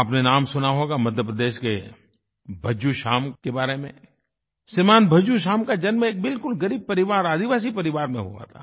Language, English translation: Hindi, You must have heard the name of Bhajju Shyam of Madhya Pradesh, Shri Bhajju Shyam was born in a very poor tribal family